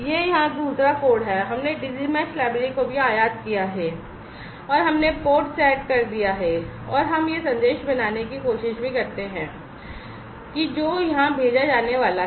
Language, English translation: Hindi, this is the other code here, also we have imported the Digi Mesh library and we have set the port etcetera etcetera and also we try to you know form this message that is going to be sent